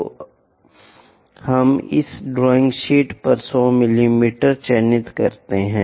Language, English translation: Hindi, So, let us mark 100 mm on this drawing sheet